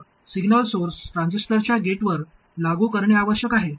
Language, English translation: Marathi, Then the signal source must be applied to the gate of the transistor